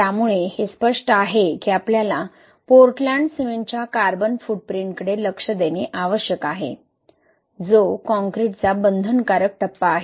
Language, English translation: Marathi, So it is obvious that we need to look into the carbon footprint of Portland cement, which is the binding phase of Concrete